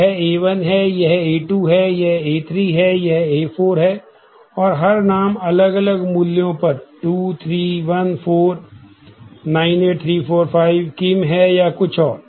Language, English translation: Hindi, So, this is A 1, this is A 2, this is A 3, this is A 4 and any one i name is at the different values a 2 a 3 a 1 a 2 a 3 a 4 98345 is a 1 Kim is a 2 and so on